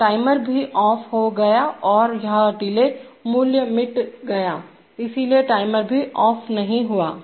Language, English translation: Hindi, So the timer also became off and that delay value got erased, so the timer never went ON